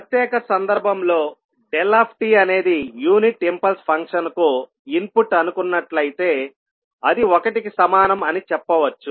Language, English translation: Telugu, As a special case if we say that xd that is the input is unit impulse function, we will say that access is nothing but equal to one